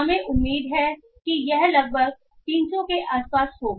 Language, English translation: Hindi, So we expect it to be somewhere around 300